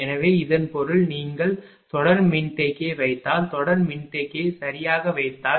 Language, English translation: Tamil, So, whenever when I suppose with series capacitor say with series capacitor